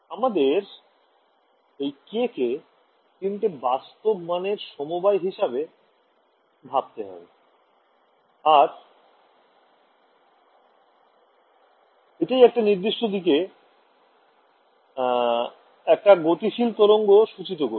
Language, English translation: Bengali, We are used to thinking of k as a combination of three real numbers and that gives me a wave traveling in a particular direction right